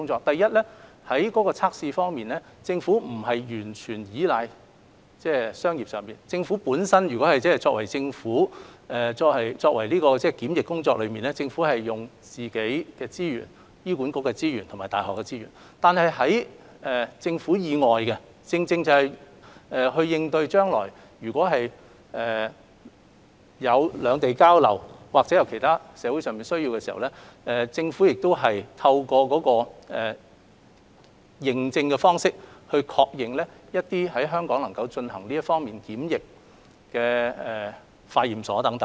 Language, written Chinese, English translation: Cantonese, 首先，在測試方面，政府並非完全依賴商業機構，政府本身在進行檢疫工作上，是利用本身醫管局或大學的資源來進行，而在政府以外的工作，正正是應對將來如果有兩地交流或有其他社會上的需要時，政府亦透過認證的方式來確認一些在香港能夠進行這方面檢疫的化驗所來進行等。, Firstly as for testing the Government does not rely solely on commercial institutions . The Governments quarantine work is done with the resources of the Hospital Authority or universities . As for the testing work outside the Government when future exchanges of tourists or other social needs arise the Government will allow some laboratories to conduct the quarantine work under an accreditation scheme